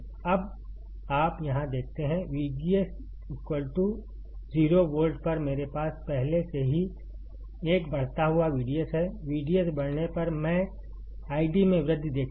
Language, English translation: Hindi, Now you see here, at V G S equals to 0 volt I already have an increasing V D S, on increasing V D S, I will see increase in I D